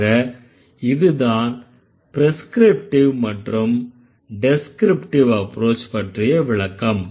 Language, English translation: Tamil, So, that was about prescriptive and descriptive approach